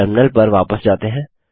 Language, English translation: Hindi, Let us switch back to the terminal